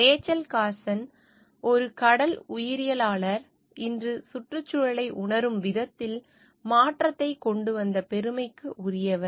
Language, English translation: Tamil, Rachel Carson, a marine biologist, stands credited for bringing change in the way environment is perceive today